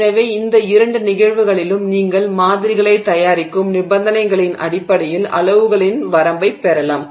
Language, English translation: Tamil, So, in both of these cases you can get a range of sizes based on the conditions under which you are preparing the samples